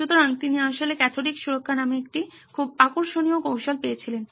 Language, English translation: Bengali, So he actually had a very interesting technique called cathodic protection